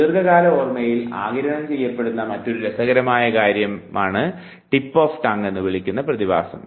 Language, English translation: Malayalam, Another interesting thing absorbed in long term memory is what is called as tip of tongue phenomenon